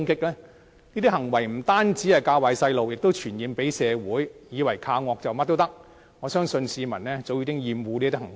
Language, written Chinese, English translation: Cantonese, 這些行為不單"教壞"小朋友，亦會傳染社會，以為恃着兇惡，便可以做任何事，我相信市民早已厭惡這些行為。, These behaviours would not only set a bad example for children they would contaminate our society and had made people thought that they could do anything if they were ferocious enough . I believe the public already have a loathing of such behaviours